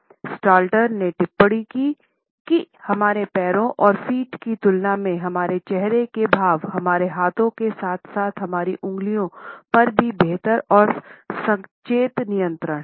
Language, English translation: Hindi, Stalter has commented that in comparison to our legs and feet, our facial expressions as well as our hands and even our fingers have a better and more conscious control